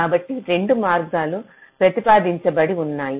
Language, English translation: Telugu, so there are two ways that have been proposed